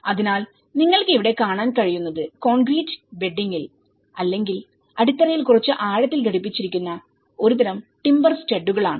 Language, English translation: Malayalam, So, what you can see here is it is a kind of timber studs embedded in the either in the concrete bedding or little deeper into the foundation